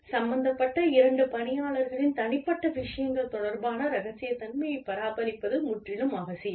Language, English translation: Tamil, Absolutely essential to maintain confidentiality, regarding personal matters of two people, who are involved